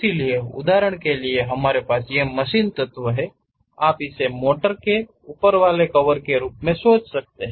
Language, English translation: Hindi, So, for example, we have this machine element; you can think of this one as a top cover of a motor